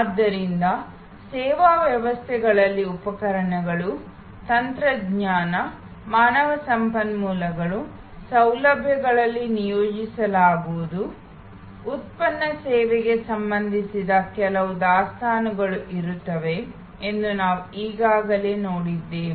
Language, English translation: Kannada, So, we have already seen before that service systems will have equipment, technology, human resources, deployed in facilities, there will be some inventories related to product service